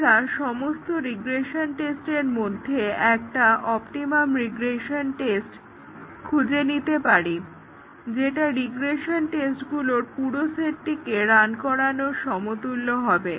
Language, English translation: Bengali, We can find out an optimum regression test, optimized regression test, out of the regression tests, which are almost as good as running the full set of regression tests